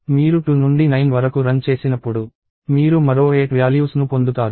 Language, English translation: Telugu, When you run from 2 to 9, you get another 8 values